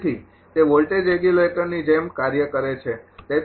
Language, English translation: Gujarati, So, it acts like a voltage regulator